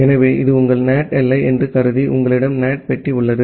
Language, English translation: Tamil, So, assume that this is your NAT boundary and you have the NAT box